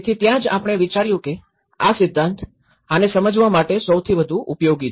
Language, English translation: Gujarati, So, that is where we thought this theory is most useful to understand this